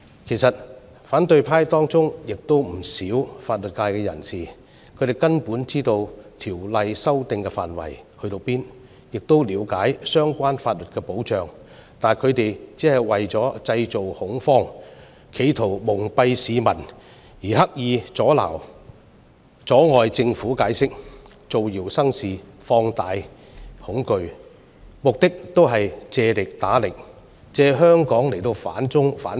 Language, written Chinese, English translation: Cantonese, 其實，反對派中有不少法律界人士，他們根本知道《條例草案》修訂的範圍，亦了解相關法律的保障，但他們為了製造恐慌，企圖蒙蔽市民，刻意阻礙政府解釋，造謠生事，放大恐懼，目的是借力打力，借香港來反中、反共。, As a matter of fact there are many legal professionals in the opposition camp who understand full well the scope of amendment in the Bill and the relevant safeguards in law . Nevertheless they created panic to pull wool over the peoples eyes and deliberately obstructed the Governments attempt at giving explanations . They started rumours and exaggerated the fear in order to use Hong Kong to serve their anti - China and anti - communist agenda